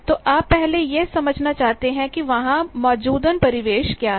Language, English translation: Hindi, So, you want to first understand, what is the ambient that is present there